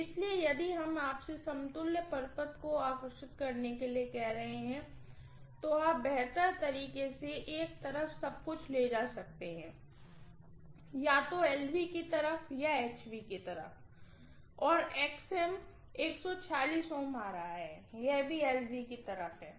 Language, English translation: Hindi, So if we are asking you to draw the equivalent circuit, you better transport everything to one side, either LV side or HV side, okay